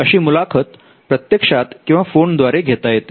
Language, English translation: Marathi, Now this could be in person or over phone